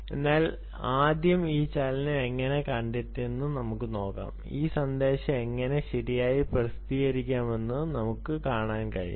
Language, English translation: Malayalam, alright, so let's see how we can first of all detect this ah motion and then we can then see how this message can be published